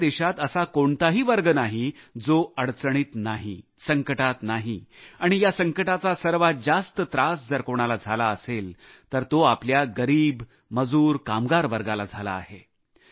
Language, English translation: Marathi, There is no stratum in our country unaffected by the difficulties caused by the afflictionthe most gravely affected by the crisis are the underprivileged labourers and workers